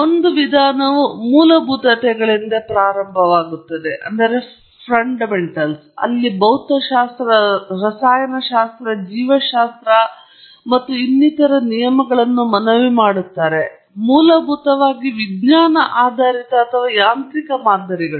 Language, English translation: Kannada, One approach is to start from fundamentals, where you invoke the laws of physics, chemistry, biology, and so on; essentially science based or mechanistic models